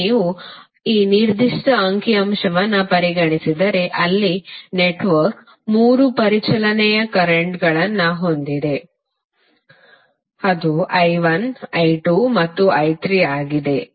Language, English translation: Kannada, Now if you consider this particular figure, there you will see that network has 3 circulating currents that is I1, I2, and I3